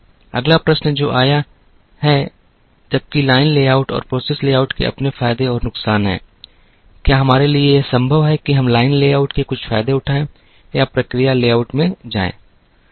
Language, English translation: Hindi, The next question that came is, while line layout and process layout have their own advantages and disadvantages, is it possible for usto borrow or to take some advantages of the line layout and bring it into the process layout